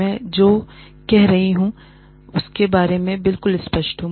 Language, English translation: Hindi, I have to be, absolutely clear about, what I am saying